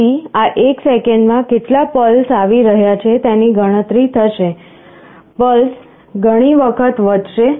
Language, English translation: Gujarati, So, how many pulses are coming in this one second will get counted; pulses will get incremented by so many times